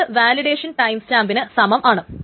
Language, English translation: Malayalam, The second is the validation timestamp